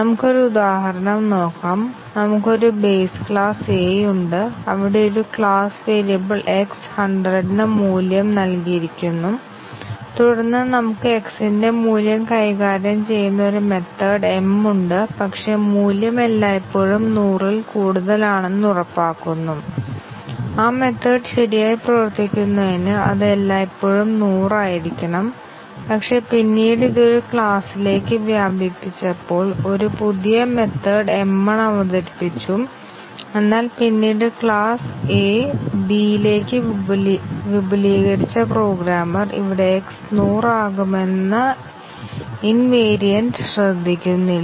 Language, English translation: Malayalam, Let us look at an example, we have a base class A where a class variable x is assigned value to 100 and then we have a method m which manipulates the value of x, but then makes sure that the value is always greater than 100 and for the method m to a work correctly, it always needs to be 100, but then when it was later extended into a class B, a new method m1 was introduced, but then the programmer here, who extended the class A into class B did not pay attention to the invariant that x would be 100